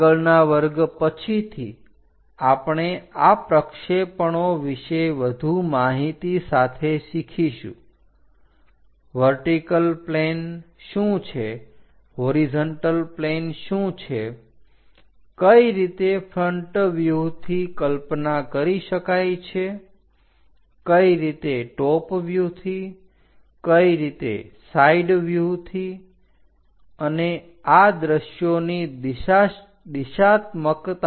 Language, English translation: Gujarati, In the next class onwards we will learn more about these projections like; what is vertical plane, what is horizontal plane, how to visualize something in front view something as top view, something as side view and the directionality of these views